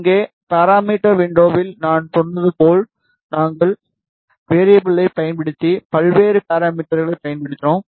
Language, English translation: Tamil, Here, ah as I told you in that parameter window, we have used various parameters using variables